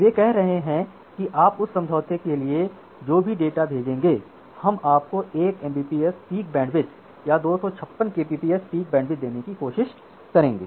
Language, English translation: Hindi, So, they are saying that whatever data you will send for that data we will try to give you 1 Mbps of peak bandwidth or 256 Kbps of peak bandwidth